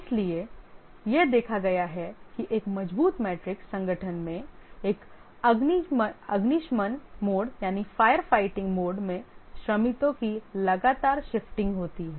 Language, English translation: Hindi, So it is observed that in a strong matrix organization there is a frequent shifting of workers in a firefighting mode